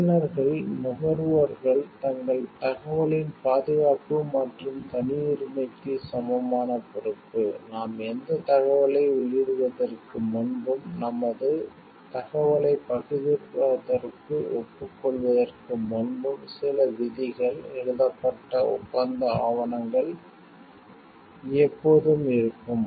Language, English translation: Tamil, The users, the consumers also are equally responsible for the safety and privacy of their information, what we find is like before we enter any information and, before we like agree to sharing our information, there are always certain like clauses written documents of agreement written